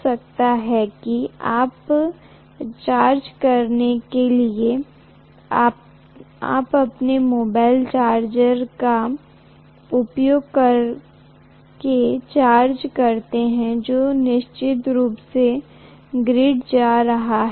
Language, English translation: Hindi, Maybe you charge it using your mobile charger which is definitely coming from the grid